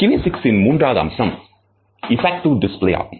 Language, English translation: Tamil, The third category of kinesics is effective displays